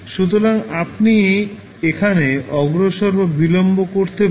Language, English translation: Bengali, So, here also you can advance or delay